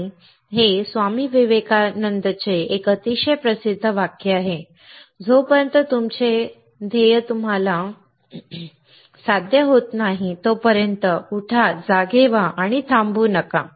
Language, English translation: Marathi, And it is a very very famous saying by Swami Vivekanand, Arise, Awake and Stop not, until your goal is reached